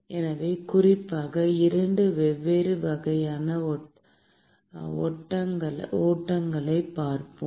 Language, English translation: Tamil, So, in particular, we will look at 2 different types of flows